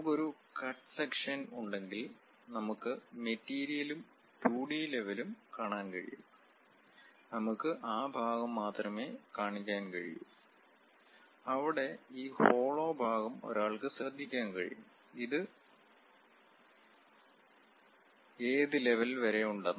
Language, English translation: Malayalam, In case if we have a cut section, we can clearly see the material and a 2 D level representation; we can show only that part, where this hollow portion one can note it, up to which level